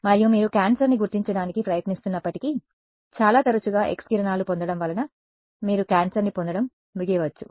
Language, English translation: Telugu, And, although you are trying to detect cancer you may end of getting cancer because of getting very frequent X rays